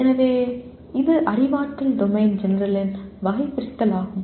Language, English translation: Tamil, So it is taxonomy of cognitive domain general